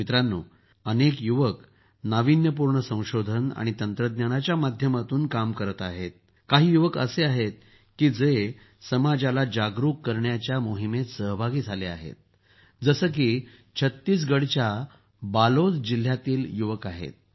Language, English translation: Marathi, Friends, if many youths are working through innovation and technology, there are many youths who are also engaged in the mission of making the society aware, like the youth of Balod district in Chhattisgarh